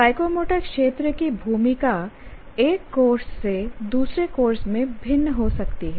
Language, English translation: Hindi, Now the role of the role of psychomotor domain may differ from one course to the other